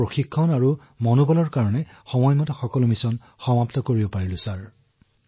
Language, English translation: Assamese, Because of our training and zeal, we were able to complete these missions timely sir